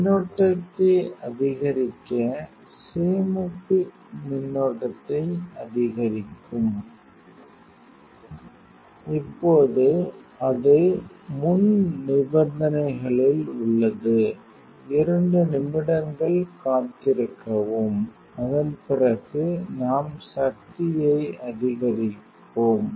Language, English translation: Tamil, The current increase the storage increase the current; now it is under premelting condition just wait 2 minutes after that we will increase the power